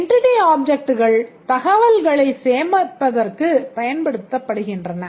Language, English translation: Tamil, The entity objects, they store information